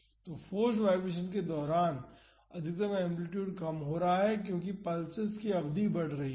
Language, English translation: Hindi, So, the maximum amplitude during the forced vibration is reducing as the duration of the pulses increasing